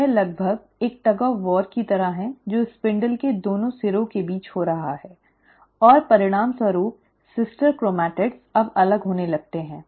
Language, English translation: Hindi, It is almost like a tug of war which is happening between the two ends of the spindle, and as a result, the sister chromatids now start getting separated